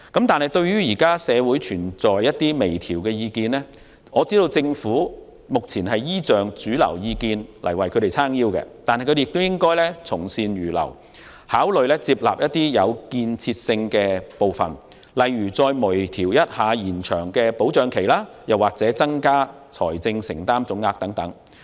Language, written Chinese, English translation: Cantonese, 對於現時社會上有關微調方案的意見，我知道政府目前有主流意見"撐腰"，但當局也應從善如流，考慮接納具建設性的建議，例如就延長保障期或增加財政承擔總額等作出微調。, Despite the mainstream opinion being in favour of the Governments initiative as I know there are views in the community asking for fine - tuning of the initiative . Therefore the Administration should also heed good advice readily and consider accepting constructive suggestions such as making fine - tuning like extending the subsidy period and increasing the total financial commitment